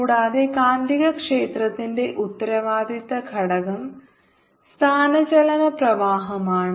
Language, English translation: Malayalam, responsible factor for the magnetic field is the displaced current